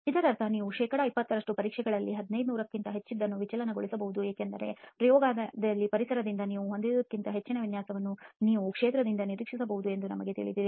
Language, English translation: Kannada, That means you can deviate to even more than 1500 in 20 percent of the tests because you know that in field you can expect a lot more variation than what you have in the laboratory environment